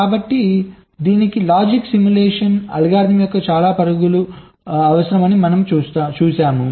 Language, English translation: Telugu, so many runs of the logic simulation algorithm